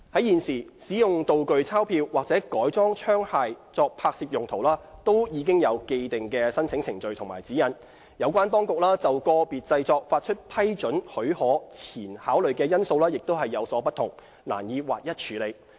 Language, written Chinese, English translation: Cantonese, 現時，使用道具鈔票或改裝槍械作拍攝用途均已有既定的申請程序及指引，有關當局就個別製作發出批准許可前考慮的因素亦有所不同，難以劃一處理。, Currently there are established procedures for and guidelines on using prop banknotes or modified firearms for filming purposes . The relevant authorities would take into account of considerations relevant to the project concerned in granting permissions . It is therefore difficult to standardize the handling of props across the board